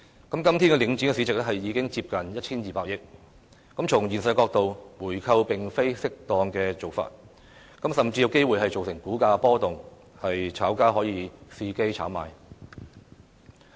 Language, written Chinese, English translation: Cantonese, 今天領展的市值已接近 1,200 億元，從現實的角度來看，回購並非適當的做法，甚至有機會造成股價波動，炒家伺機炒賣。, The market value of Link REIT is worth nearly 120 billion now and realistically it is inappropriate to buy it back and worse still this might cause volatility in stock prices prompting the speculators to seize the opportunity to engage in speculation